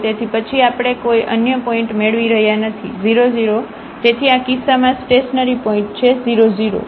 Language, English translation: Gujarati, So, we are not getting any other point then 0 0, so a stationary point in this case is 0 0